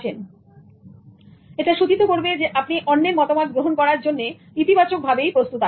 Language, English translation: Bengali, So, this will indicate that you are positively tuned towards receiving somebody's dialogue